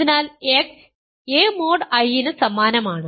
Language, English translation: Malayalam, So, x is in I and x is in J